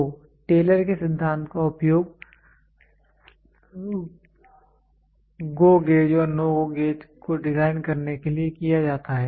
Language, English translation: Hindi, So, Taylor’s principle is used for designing GO gauge and NO GO gauge